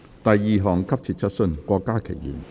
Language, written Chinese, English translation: Cantonese, 第二項急切質詢。, Second urgent question